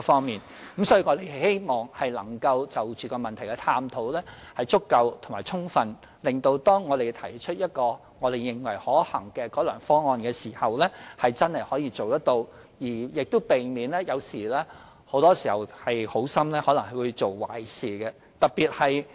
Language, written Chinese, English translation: Cantonese, 因此，我們希望對問題進行足夠和充分的探討，以致當我們提出一個我們認為可行的改良方案時，那方案是可以實踐的，亦避免可能好心做壞事的情況。, Therefore we hope to explore the issue adequately and thoroughly so that when we put forward an improved proposal which we think is feasible that proposal will prove to be enforceable and we will not turn out to be doing a disservice out of good intentions